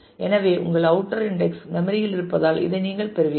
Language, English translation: Tamil, So, with this you since your outer index are in memory